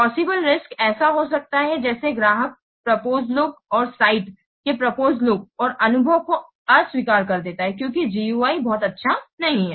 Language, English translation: Hindi, The possible risks could be like the client rejects the proposed look and proposed look and fill up the site because the UI part is not very good